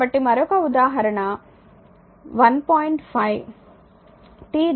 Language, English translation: Telugu, So, example another example say 1